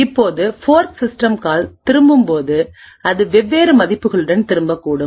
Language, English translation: Tamil, Now when the fork system call returns, it could return with different values